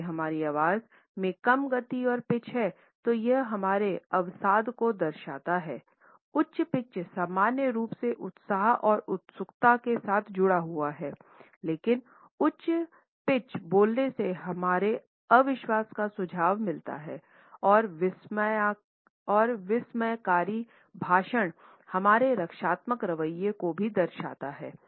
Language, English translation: Hindi, If our voice has low speed and low pitch it shows our depression high pitch is normally associated with enthusiasm and eagerness, high pitch but a long drawn out way of speaking suggest our disbelief, accenting tone suggest astonishment and abrupt speech also shows our defensive attitude